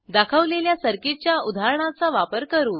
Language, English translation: Marathi, We will use the example circuit shown